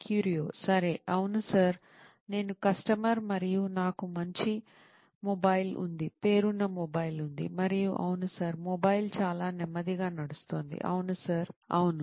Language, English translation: Telugu, okay, yes sir, I am a customer and I have a good mobile, a reputed mobile and yes sir, the mobile is running very slow, yes sir, yes